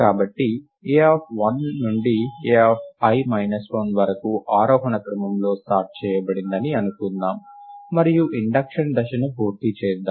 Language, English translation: Telugu, So, let us assume that a of 1 to a of i minus 1 are sorted in ascending order, and let us complete the induction step